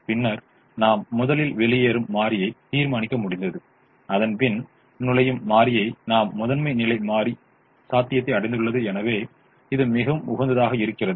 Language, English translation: Tamil, and then, once we decided the leaving variable first and then the entering variable, we reached primal feasibility and hence optimum